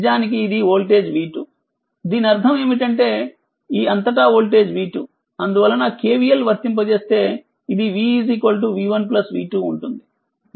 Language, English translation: Telugu, This is actually voltage v 2 right that means, voltage across these and across these it is v 2 therefore, if you apply KVL so it will be v is equal to v 1 plus v 2 right